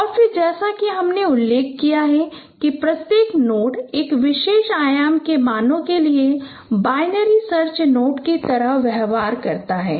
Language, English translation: Hindi, And then as I mentioned each node behaves like a node of binary search tree for values of a particular dimension